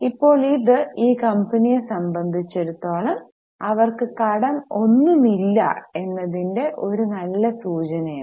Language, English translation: Malayalam, Now this for this company it is a very good sign that they don't have any loans